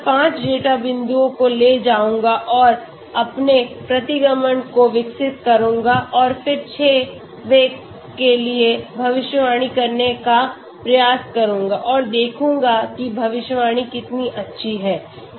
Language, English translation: Hindi, I will take only 5 data points and develop my regression and then try to predict for the 6th one and see how good the prediction is